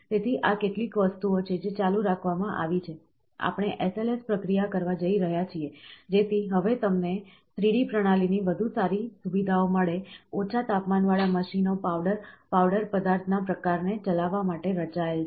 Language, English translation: Gujarati, So, these are certain things which are kept on, we going on in the SLS process, so that now you get better features the 3D system, low temperature machines are designed to run a large variety of powder, powder material type